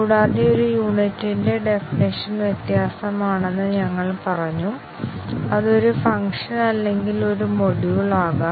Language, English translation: Malayalam, And, we said that the definition of a unit varies; it can be a function or a module